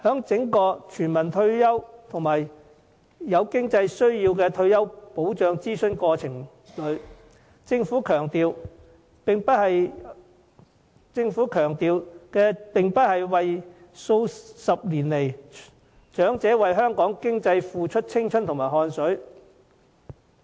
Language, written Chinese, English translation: Cantonese, 就全民退休保障及有經濟需要的退休保障進行諮詢的整個過程中，政府並沒有強調長者過去數十年為香港經濟付出的青春和汗水。, During the entire process of consultation on universal retirement protection and retirement protection for those in need of financial support the Government failed to highlight the youth and sweat contributed by the elderly to the Hong Kong economy over the past decades